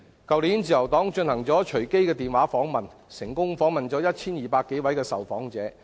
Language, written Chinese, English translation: Cantonese, 去年自由黨進行隨機電話訪問，成功訪問 1,200 多位受訪者。, The Liberal Party conducted last year a random telephone survey and interviewed over 1 200 persons successfully